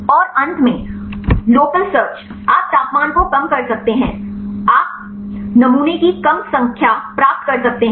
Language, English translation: Hindi, And finally, lower search you can lower temperature you can get less number of sampling